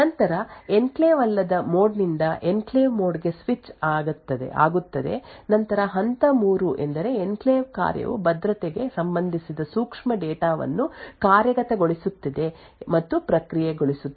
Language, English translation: Kannada, Then there is switch from the non enclave mode into the enclave mode then the step 3 is where the enclave function executes and processes the security related sensitive data